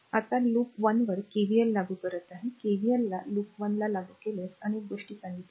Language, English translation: Marathi, Now, applying KVL to loop one, if you apply KVL to loop one, several things we have told